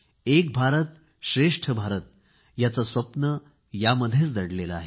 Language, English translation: Marathi, The dream of "Ek Bharat Shreshtha Bharat" is inherent in this